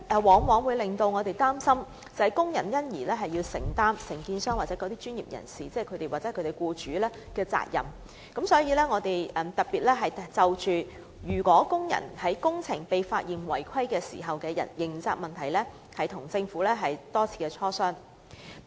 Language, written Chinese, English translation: Cantonese, 我們一直擔心工人因而須承擔承建商、專業人士或其僱主的責任，因此特別就工人在工程被發現違規時的刑責問題多次與政府進行磋商。, We have been worrying that the workers will have to bear the responsibilities of the contractors professionals or their employers as a result . And so we had negotiated with the Government for a number of times on the issue of criminal liability of workers in the event of contravention of WWO during construction